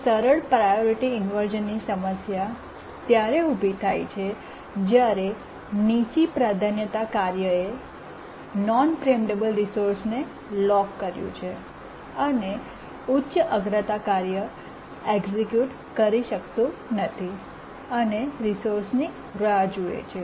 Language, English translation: Gujarati, A simple priority inversion arises when a low priority task has locked a non preemptible resource and a higher priority task cannot execute and just waits for a resource